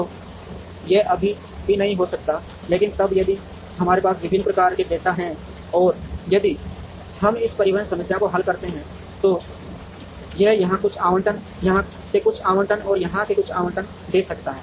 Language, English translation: Hindi, So, it may still not happen, but then if we have different types of data and if we solve a transportation problem, it might give some allocations here, some allocations from here, and some allocations from here